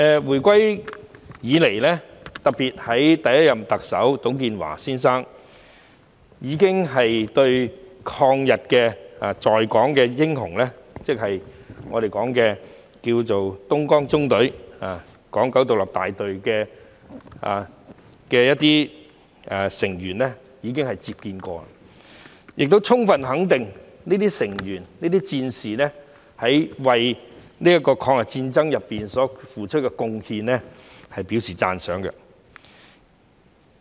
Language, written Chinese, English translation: Cantonese, 回歸以來，特別是第一任特首董建華先生已有接見在港的抗日英雄，即東江縱隊港九獨立大隊游擊隊的成員，亦充分肯定這些成員和戰士為抗日戰爭所付出的貢獻，並且表示讚賞。, After the handover some anti - Japanese war heroes in Hong Kong that is members of the Hong Kong Independent Battalion of the Dongjiang Column have been received by Mr TUNG Chee - hwa the first Chief Executive who fully recognized and appreciated the contribution made by these members and soldiers to the War of Resistance against Japanese aggression